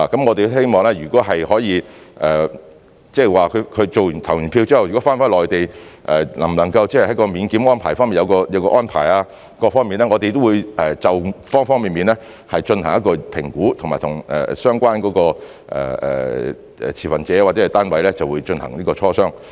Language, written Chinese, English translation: Cantonese, 我們希望，如果可以，即是他們投票後如果返回內地，能否在免檢方面有所安排等，我們會就方方面面進行評估，以及和相關持份者或單位進行磋商。, If it is possible we would like to explore whether exemption from compulsory quarantine etc . can be arranged for people who are returning to the Mainland after voting . We will make assessment on all aspects and discuss with the relevant stakeholders or authorities